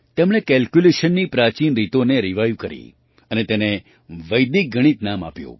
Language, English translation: Gujarati, He revived the ancient methods of calculation and named it Vedic Mathematics